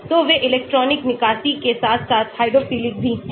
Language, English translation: Hindi, So, they are electronic withdrawing as well as hydrophilic